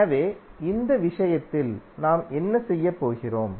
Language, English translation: Tamil, So in this case, what we are going to do